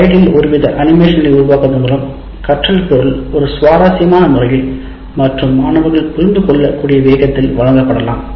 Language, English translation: Tamil, It is possible to create some kind of animations into the slides so that the material is presented in a very interesting sequence and slow enough for the student to keep track